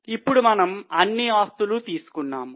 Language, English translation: Telugu, Now we have taken all the assets